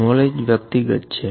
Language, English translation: Gujarati, Knowledge is personal